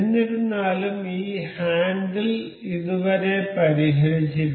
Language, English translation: Malayalam, However, this handle is not yet fixed